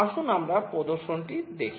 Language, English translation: Bengali, Let us see the demonstration